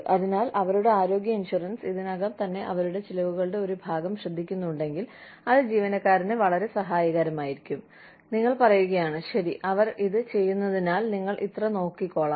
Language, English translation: Malayalam, So, if their health insurance, is already taking care of, a part of their expenses, it would be very helpful to the employee, if you said, okay